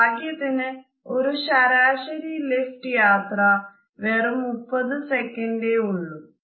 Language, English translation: Malayalam, Lucky for me, the average elevator ride last just 30 seconds